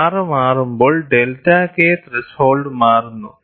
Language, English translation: Malayalam, And when R changes, delta K threshold also changes